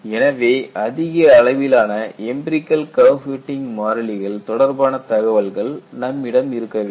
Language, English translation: Tamil, And, it also has a large database of empirical curve fitting constants